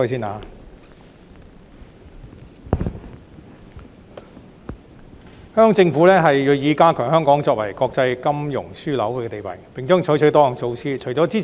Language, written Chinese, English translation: Cantonese, 香港政府銳意加強香港作為國際金融樞紐的地位，並將採取多項措施。, The Hong Kong Government is determined to reinforce Hong Kongs position as an international financial hub and will adopt a number of measures